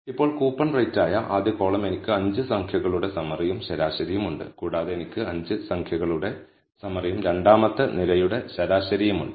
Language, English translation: Malayalam, Now, the first column which is coupon rate, I have the 5 number summary and the mean and I also have the 5 number summary and the mean for the second column